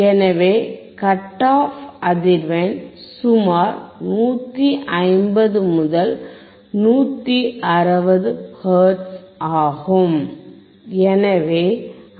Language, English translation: Tamil, So, the cut off frequency, that we have calculated is about 150 to 160 hertz